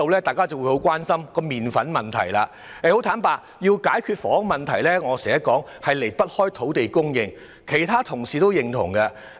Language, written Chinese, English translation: Cantonese, 大家都很關心麪粉的問題，但要解決房屋問題，正如我經常說，根本離不開土地供應，我相信其他同事也認同這點。, While we are all very concerned about the flour issue as I always said the solution of the housing problem is inextricably linked with land supply which I believe other colleagues would also agree